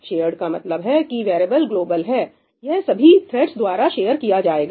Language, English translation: Hindi, Shared means that the variable is global, it is shared by all the threads